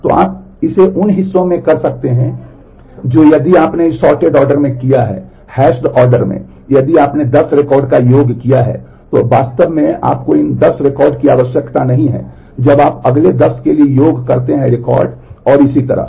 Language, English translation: Hindi, So, you can do it in parts that if you have done in this sorted order, in the hashed order if you have done the sum of 10 records then you can actually do not need these 10 records when you do the sum for the next 10 records and so, on